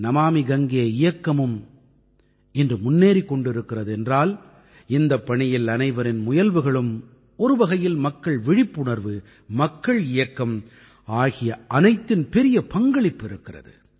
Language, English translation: Tamil, The Namami Gange Mission too is making advances today…collective efforts of all, in a way, mass awareness; a mass movement has a major role to play in that